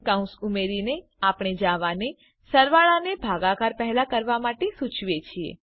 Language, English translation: Gujarati, By adding parentheses, we instruct Java to do the addition before the division